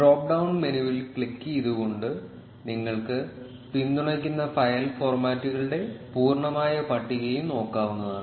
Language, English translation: Malayalam, You can also look at the complete list of supported file formats by clicking on the drop down menu